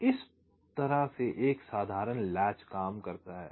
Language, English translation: Hindi, ok, so this is how a simple latch works